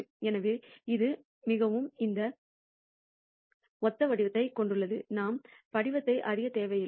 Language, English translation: Tamil, So, it has very similar form we do not need to know the form